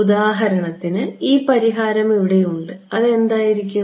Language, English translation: Malayalam, So, for example, this solution over here, what will it become